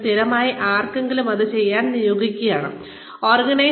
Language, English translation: Malayalam, There, somebody could be assigned, to do this, on a regular basis